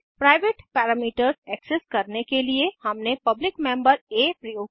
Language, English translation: Hindi, To access the private parameter we used the public member a